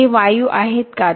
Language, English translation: Marathi, Are gases there